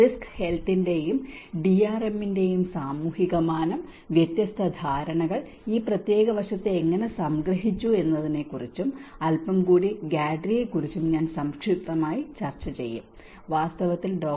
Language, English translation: Malayalam, Social dimension of risk health and DRM which I will just briefly discuss about how different perceptions have summarized this particular aspect and also little bit about GADRI and in fact Dr